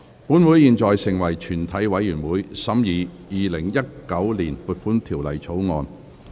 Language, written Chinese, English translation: Cantonese, 本會現在成為全體委員會，審議《2019年撥款條例草案》。, Council now becomes committee of the whole Council to consider the Appropriation Bill 2019